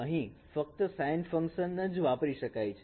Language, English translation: Gujarati, Here also only the sign functions can be used